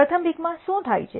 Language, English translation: Gujarati, What has happened in the first pick